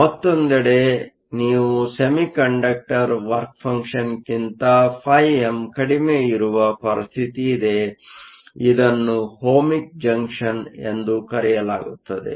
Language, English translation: Kannada, On the other hand, you have a situation phi m is less than the work function of the semiconductor this is called an Ohmic Junction